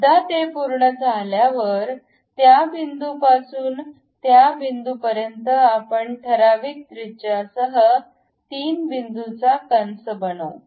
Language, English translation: Marathi, Once it is done, we make a arc 3 point arc from that point to that point with certain radius